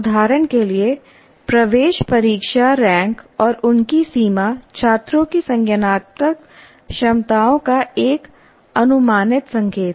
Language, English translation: Hindi, For example, entrance test ranks and their range is an approximate indication of the cognitive abilities of the students